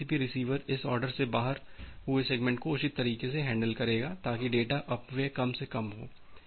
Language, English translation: Hindi, So, this TCP receiver it should handle the out of order the segment in a proper way so, that data wastage is minimized